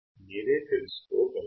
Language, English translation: Telugu, Find out yourself